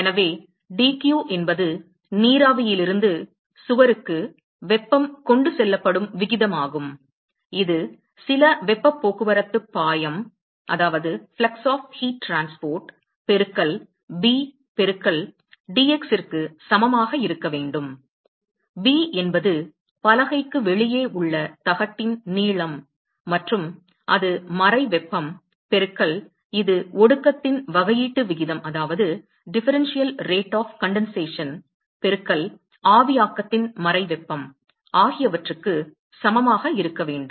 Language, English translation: Tamil, So, dq that is the rate at which the heat is transported from the vapor to the wall that should be equal to some flux of heat transport multiplied by b into dx; b is the length of the plate outside the board and that should be equal to the latent heat multiplied by that is the rate of condensation differential rate of condensation multiplied by the latent heat of vaporization